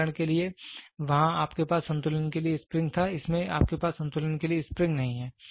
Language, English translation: Hindi, For example, there you had a spring to balance in this you do not have spring to balance